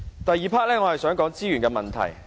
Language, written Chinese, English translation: Cantonese, 第二部分，我想談資源問題。, In the second part I would like to talk about the issue of resources